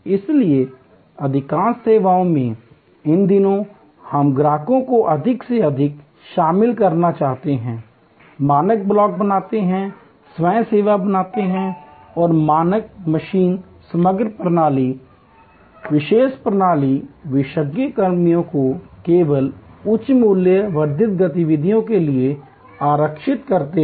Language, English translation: Hindi, So, in most services, these days we would like to involve the customer more and more, create standard blocks, create self service and reserve the human machine composite system, expert system and expert personnel only for higher value adding activities